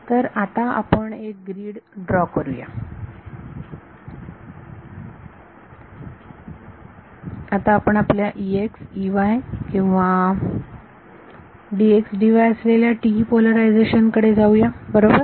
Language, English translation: Marathi, So, now let us draw a grid, let us go back to our TE polarization which had E x E y or D x D y right